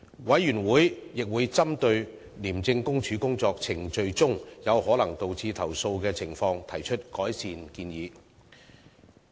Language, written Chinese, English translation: Cantonese, 委員會亦會針對廉政公署工作程序中有可能導致投訴的情況，提出改善建議。, Moreover the Committee will identify any faults in ICACs work procedures which might lead to complaints and make recommendations for improvement